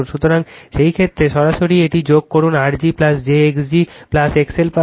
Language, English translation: Bengali, So, in that case you directly add this one, you will get R g plus j x g plus X L